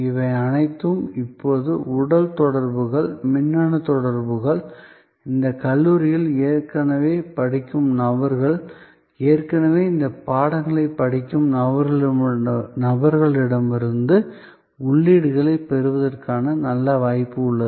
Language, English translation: Tamil, All these now have physical interactions, electronic interactions, good possibility of getting inputs from people who are already studying in those colleges, people who are already studying those subjects